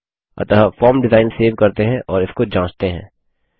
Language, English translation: Hindi, So let us save the form design and test it